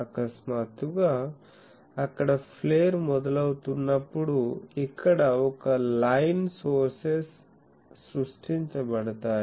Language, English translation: Telugu, Now suddenly when it starts getting flared a line sources is created here